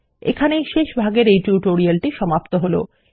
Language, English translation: Bengali, This is the last part of this tutorial